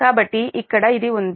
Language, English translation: Telugu, so the here it is